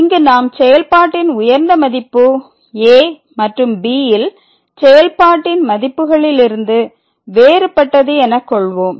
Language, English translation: Tamil, So, here we assume that the function the maximum value of the function is different than the function value at and